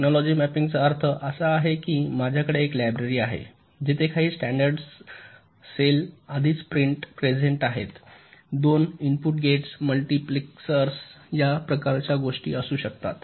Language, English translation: Marathi, technology mapping means i have a library where some standard cells are already present, may be two input gates, multiplexers, this kind of things